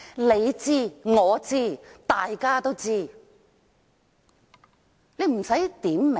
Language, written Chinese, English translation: Cantonese, 你知、我知，大家都知，不需要點名。, Both you and I are aware of that and we do not need to name names